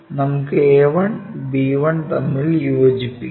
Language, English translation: Malayalam, Let us join a 1 and b 1